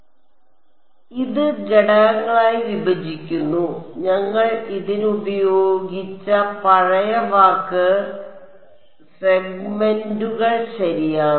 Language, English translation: Malayalam, So, this is breaking up into elements, the old word we had used for it was segments ok